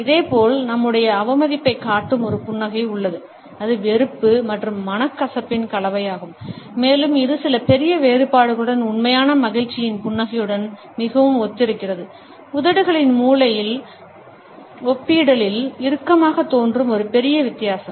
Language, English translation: Tamil, Similarly, we have a smile which shows our contempt, it is a mixture of disgust and resentment and it is very similar to a smile of true delight with some major differences, with a major difference that the corner of lips appear relatively tightened